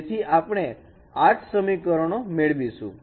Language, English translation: Gujarati, So from there we can get this equation